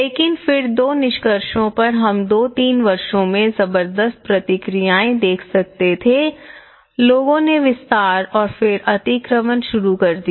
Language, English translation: Hindi, On but then, from the two findings which we could able to see a tremendous responses in those two three years, people started building extensions and then encroachments